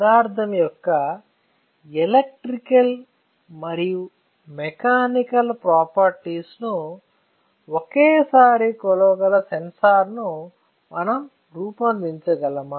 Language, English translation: Telugu, So, can we design a sensor that can measure the electrical and mechanical properties of the material simultaneously